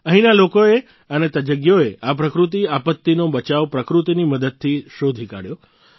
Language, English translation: Gujarati, The people here and the experts found the mitigation from this natural disaster through nature itself